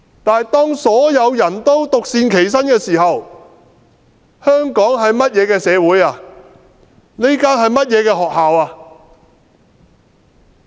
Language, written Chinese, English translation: Cantonese, 但是，當所有人也獨善其身時，香港會是個怎樣的社會，這所會是怎樣的學校？, However if everyone attends to his own virtue in solitude what kind of society will Hong Kong become? . What kind of school will it turn into?